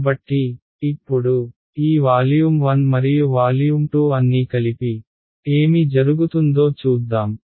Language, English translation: Telugu, So, now, let us put all of these volume 1 and volume 2 together and see what happens